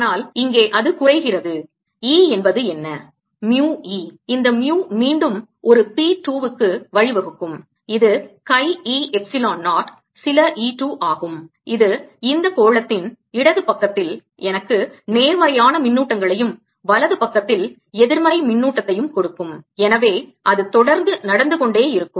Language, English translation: Tamil, this mu again will give rise to a p two which is chi e, epsilon zero, some e two, which in turn will give me positive charges on the left hand side of this sphere and negative charge on the right hand side, and so on